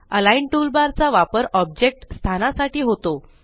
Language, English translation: Marathi, The Align toolbar is used to position objects